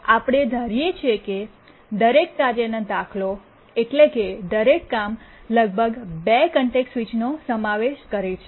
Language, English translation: Gujarati, So we assume that each task instance, that is each job, incurs at most two context switches